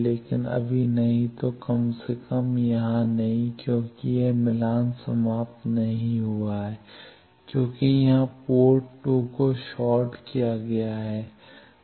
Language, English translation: Hindi, But not now at least not here because it is not match terminated the port 2 here is shorted